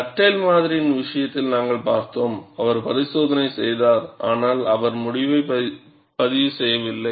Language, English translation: Tamil, We had seen in the case of Dugdale model; he had performed the experiment, but he did not report the result